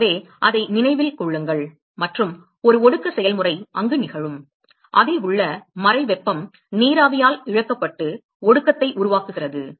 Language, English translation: Tamil, So, remember that and there is a condensation process which is occurring there is the latent heat is being lost by the vapor to form the condensate